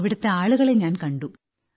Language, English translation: Malayalam, I met people there